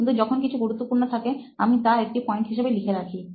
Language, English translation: Bengali, But when something is important, I do make it a point of noting it down